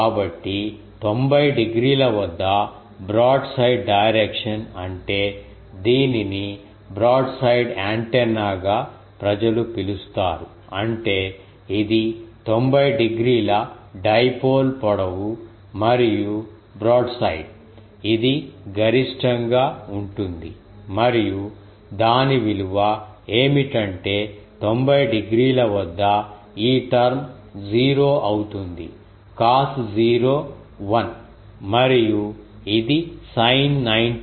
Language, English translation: Telugu, So, at 90 degree means brought side direction this is called in antenna people call it, brought side; that means, this is the dipole length and brought side to that 90 degree to the this is a maximum and what is the value of that put that this term at 90 degree become 0 so, cos 0 is 1 and this is sin 91